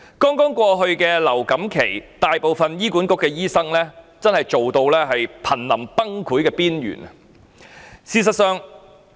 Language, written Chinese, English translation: Cantonese, 在剛過去的流感高峰期，大部分醫管局醫生皆工作至瀕臨崩潰的邊緣。, During the influenza surge that has just passed most HA doctors were on the brink of collapse due to their immense workload